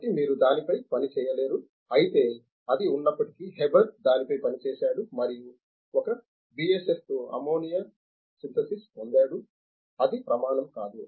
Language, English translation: Telugu, So, you cannot work on this, but in spite of it Haber worked on it and got the ammonia synthesis with a BSF, that is not the criteria